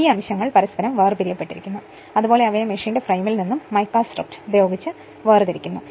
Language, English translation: Malayalam, These segments are separated from one another and from the frame of the machine by mica strip right